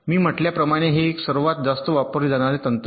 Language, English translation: Marathi, now, as i said, this is one of the most widely used technique